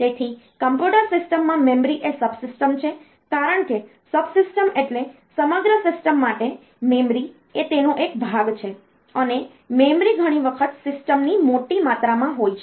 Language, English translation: Gujarati, So, in a computer system, memory is a subsystem; because subsystem means for the whole system memory is a part of it and memory is often a sizable amount of the system